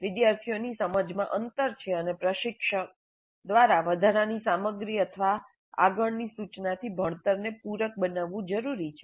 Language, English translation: Gujarati, There are gaps in the students' understanding and it may be necessary to supplement the learning with additional material or further instruction by the instructor